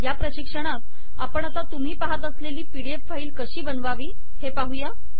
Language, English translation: Marathi, In this tutorial we will see, how to produce a pdf file that you see now